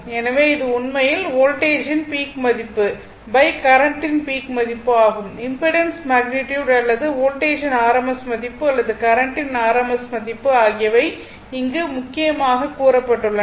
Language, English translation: Tamil, So, it is it is actually either peak value of the voltage by peak value of the current the magnitude of the impedance or rms value of the voltage or rms value of the current that is what has been main said here right